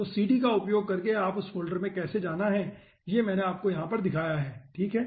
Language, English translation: Hindi, so how to go to that folder using cd, that i have shown you over here